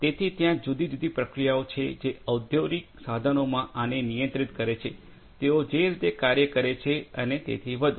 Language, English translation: Gujarati, So, there are different processes which control this in industrial instruments, the way they work and so on